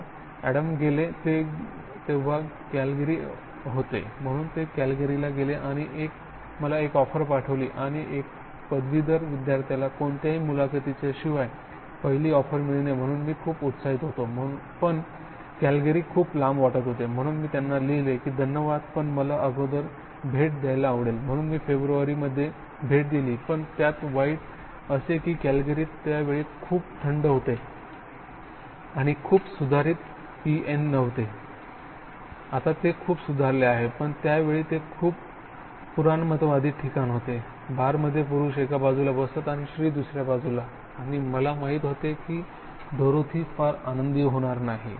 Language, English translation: Marathi, So Adam went, he was then that Calgary, so he went to Calgary and send me an offer and you know a graduate student without any interview first offer, so I was quite excited but Calgary seem so far, so I wrote to him that, you know thank you but I like to visit, so I visited in February and that was bad, that was very very cold and I, Calgary that time was not, now it much much improved, that time and it was very conservative place, in the bar men sit on one side and woman on other and I know Dorothy will not be very happy